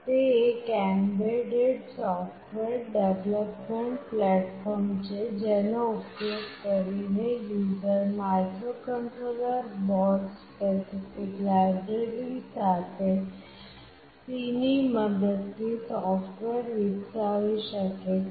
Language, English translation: Gujarati, It is an embedded software development platform using which users can develop software using C, with microcontroller board specific library